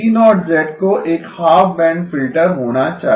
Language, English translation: Hindi, G0 has to be a half band filter